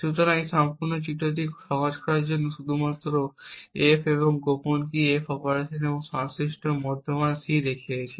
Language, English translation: Bengali, So, to simplify this entire figure we just showed the input F and the secret key and the F operation and the corresponding intermediate value C